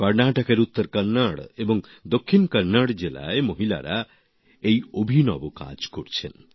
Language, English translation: Bengali, Women in Uttara Kannada and Dakshina Kannada districts of Karnataka are doing this unique work